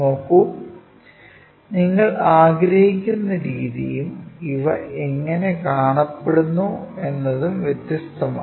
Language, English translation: Malayalam, See, the way what you perceive and the way how it looks like these are different